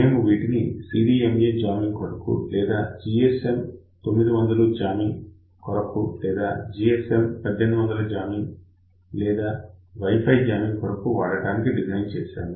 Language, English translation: Telugu, So, we designed it for CDMA jamming or you can say GSM 900 jamming or even GSM 800 jamming even Wi Fi jamming also